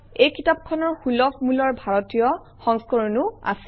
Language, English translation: Assamese, This book is available in a low cost Indian edition as well